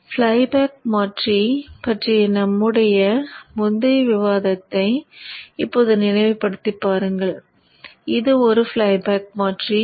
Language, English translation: Tamil, Now recall our earlier discussion of flyback converter